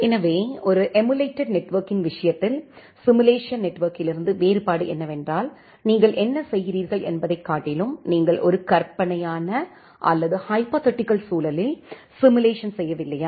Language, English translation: Tamil, So, in a case of a emulated network the difference from the simulated network is that you are not simulating in a hypothetical, or a virtual environment rather what you are doing